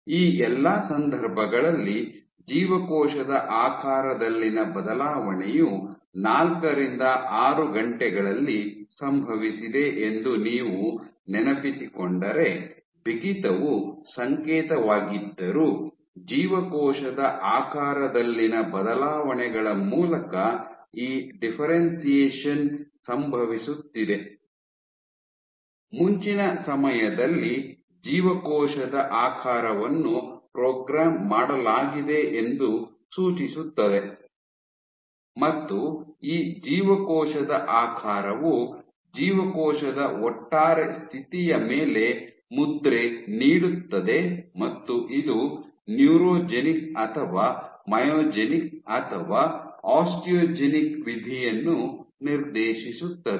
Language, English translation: Kannada, So, this is also even though stiffness is the signal, but this is happening these differentiation is happening through changes in cell shape; at earlier time points you have cell shape being programmed and this cell shape imprints on the overall state of the cell and dictates either a neurogenic or myogenic or osteogenic fate